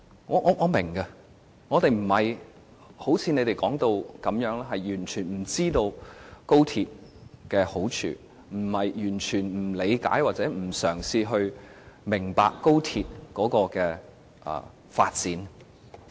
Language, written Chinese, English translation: Cantonese, 我們並非如你們說的那樣，完全不知道高鐵的好處，並非完全不理解或不嘗試明白高鐵的發展。, Unlike how pro - establishment Members have described us we are not ignorant of the merits of the XRL nor are we completely oblivious of or reluctant to acquaint ourselves with its development